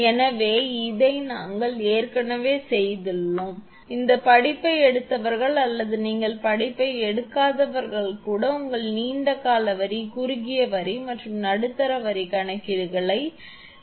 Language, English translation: Tamil, So, this already we have made it, those who have taken the course or even you have not taken the course, you have studied in your inductance sorry that long line, short line and medium line calculations there you have made it